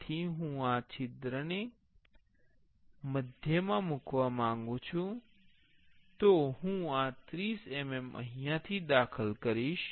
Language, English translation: Gujarati, So, I want to place this hole in the center, so I will enter 30 mm